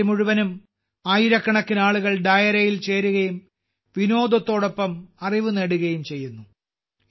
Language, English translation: Malayalam, Throughout the night, thousands of people join Dairo and acquire knowledge along with entertainment